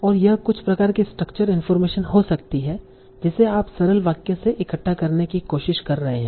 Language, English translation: Hindi, And this can be some sort of instruction information that you are trying to gather from the simple sentence